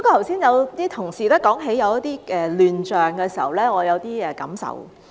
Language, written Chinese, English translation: Cantonese, 剛才同事提及一些亂象的時候，我有一些感受。, I have some feelings when colleagues mentioned the chaotic situations earlier